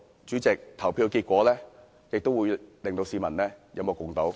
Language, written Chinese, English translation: Cantonese, 主席，投票結果會令到市民有目共睹。, President the voting results will be there for all to see